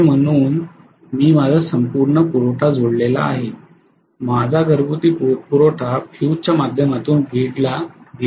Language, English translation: Marathi, Let us say I have connected my entire supply, my house hold supply to the grid that is through of fuse